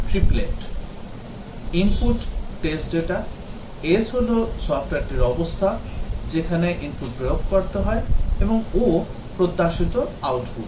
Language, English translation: Bengali, Input the test data, input is the test data; S is the state of the software at which the input is to be applied; and O is the expected output